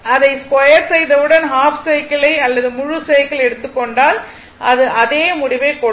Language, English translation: Tamil, So, I told you that as soon as squaring it, if you take half cycle or full cycle, it will give you the same result right